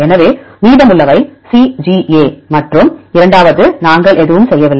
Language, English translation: Tamil, So, remaining is CGA and the second one we did not do anything